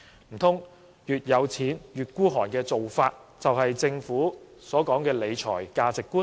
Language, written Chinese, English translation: Cantonese, 難道越有錢越吝嗇的做法，就是政府所說的理財價值觀？, Is the practice of being more miserly with more money the fiscal management value of the Government?